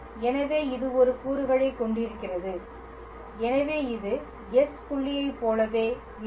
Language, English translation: Tamil, So, it just have one component, so, this will remain just like s dot